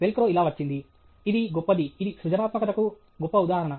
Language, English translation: Telugu, That’s how the Velcro® came; this is a great… this is a great instance of creativity